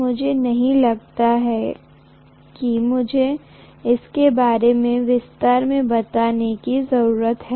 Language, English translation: Hindi, I do not think I need to elaborate on that